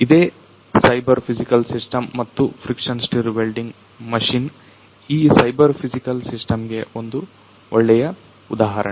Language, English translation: Kannada, So, this is what the cyber physical system is and this friction stir welding machine is a good example of this particular system the cyber physical system